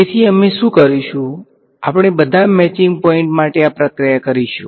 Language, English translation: Gujarati, So, what we will do is we will continue this process for all the matching points